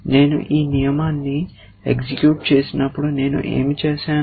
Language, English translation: Telugu, What I have done when I executed this rule